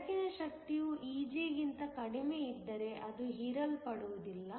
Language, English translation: Kannada, The energy of the light is less than Eg then it is not going to be absorbed